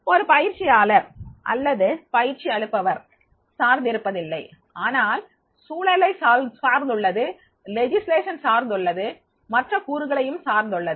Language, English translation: Tamil, It does not depend only on the training or not depend on the trainer but it depends on the environment also, it depends on the legislation also, it depends on the so many other factors also